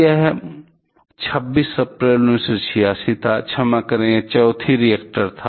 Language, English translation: Hindi, It was April 26, 1986; sorry it was the 4th reactor